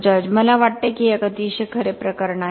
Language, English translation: Marathi, I think that is a very true case